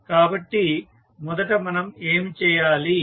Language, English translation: Telugu, So, first thing what we have to do